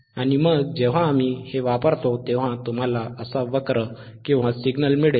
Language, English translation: Marathi, And then when we use this, you will get a curve orlike this, signal like this,